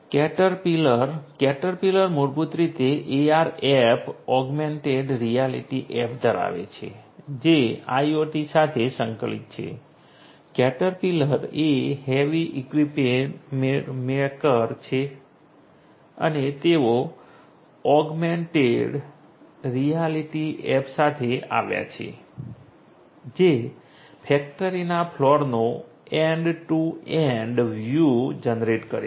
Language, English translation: Gujarati, Caterpillar: Caterpillar basically has the AR app augmented reality app which is integrated with IoT, caterpillar as you know is a heavy equipment maker and they have come up with the augmented reality app that generates end to end view of the factory floor